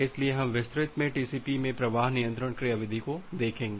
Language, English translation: Hindi, So, we will go to the flow control mechanism in TCP in details